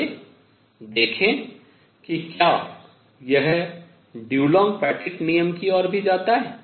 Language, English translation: Hindi, Let us see if it leads to Dulong Petit law also